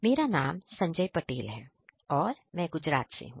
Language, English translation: Hindi, I am Sanjay Patel from Gujrat